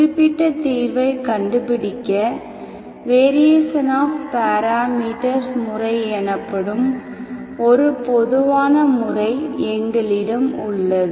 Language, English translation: Tamil, To find the particular solution we have a general method called method of variation of parameters